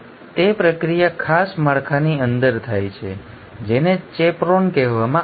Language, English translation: Gujarati, So, that processing happens inside special structures which are called as chaperones